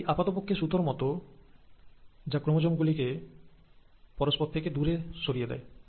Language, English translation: Bengali, These are literally like threads, which are pulling the chromosomes apart